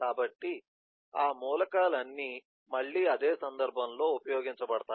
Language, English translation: Telugu, so all those elements will be used again in the same eh context